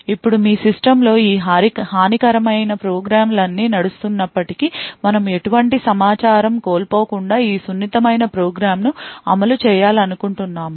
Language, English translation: Telugu, Now in spite of all of these malicious programs running on your system we would still want to run our sensitive program without loss of any information